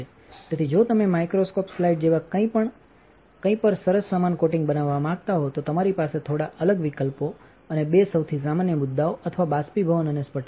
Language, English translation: Gujarati, So, if you want to make a nice uniform coating on something say like a microscope slide, you have a few different options and two of the most common ones or evaporation and sputtering